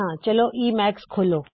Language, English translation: Punjabi, Let us go to emacs